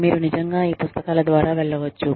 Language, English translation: Telugu, And, you can actually, go through these books